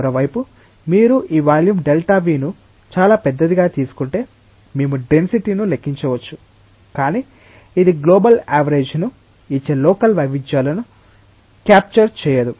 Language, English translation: Telugu, On the other hand, if you take this volume delta v very large then also, we can calculate a density, but it will not be able to capture the local variations it will give a global average